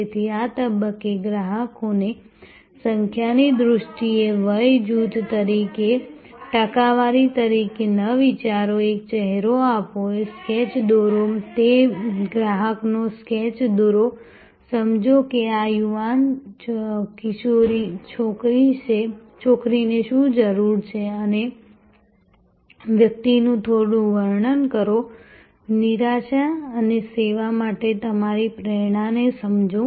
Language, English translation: Gujarati, So, do not think of customers at this stage a numbers as percentages as age groups not in terms of numbers, give a face, draw a sketch, draw a sketch of that customer, understand that what is the need of this young teenager girl and have some description of the person, understand the frustration and your motivation for service